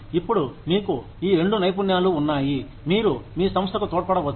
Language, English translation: Telugu, Now you have these two skills, that you can contribute, to your organization